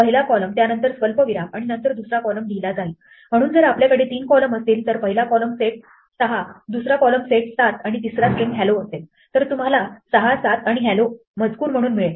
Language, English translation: Marathi, The first column would be written followed by comma then second column, so if we had three columns then the first column set 6 second column set 7 and the third was string hello, then we write it out a text as you will get 6, 7 and "hello"